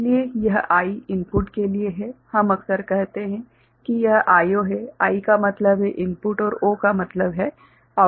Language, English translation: Hindi, So, this I stands for input ok, we often say that it is I O; I means input and O means output, right